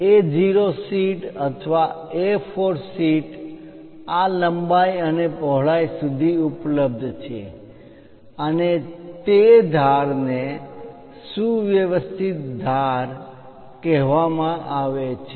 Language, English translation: Gujarati, The A0 sheet or A4 sheet which is available up to this length and width those edges are called trimmed edges